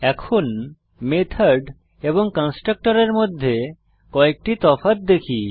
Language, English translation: Bengali, Now let us see some difference between method and a constructor